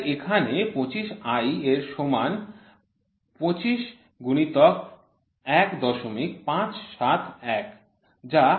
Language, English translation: Bengali, So, it is 25 i so it is 25 i equal to 25 into 1